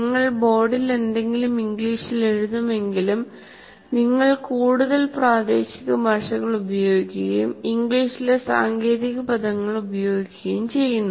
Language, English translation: Malayalam, While you may write something on the board in English, but you keep talking, use more of local language and using of course the technical words in English